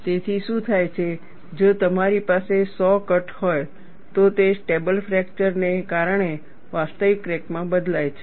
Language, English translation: Gujarati, So, what happens is, if you have a saw cut, this changes into a real crack due to stable fracture